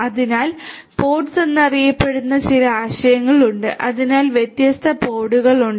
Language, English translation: Malayalam, So, there are concepts of something known as pods so, there are different pods